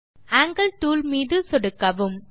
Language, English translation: Tamil, Click on the Angle tool..